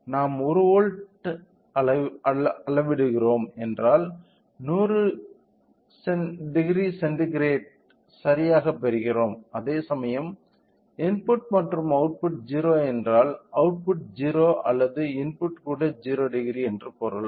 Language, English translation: Tamil, If we are measuring 1 volt which means that we are getting 10 degree centigrade right whereas, if the input is output is 0 which means that the output is also 0 or the input is also 0 degree